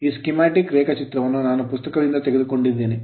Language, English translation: Kannada, So, this is a schematic diagram which I have taken from a book right